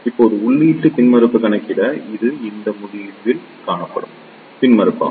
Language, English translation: Tamil, Now, to calculate the input impedance this will be the impedance seen at this end